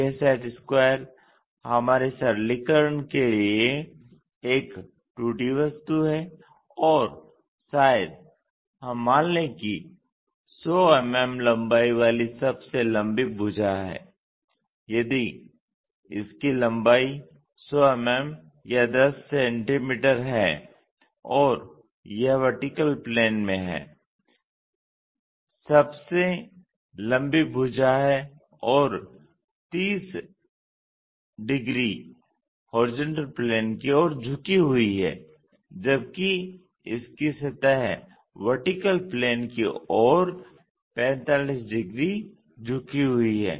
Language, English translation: Hindi, This set square is a two dimensional object for our simplification and perhaps let us assume that the longest side having 100 mm length, if it is having 100 mm length 10 centimeters and it is in the vertical plane the longest side and 30 degrees is inclined to horizontal plane while its surface is 45 degrees inclined to vertical plane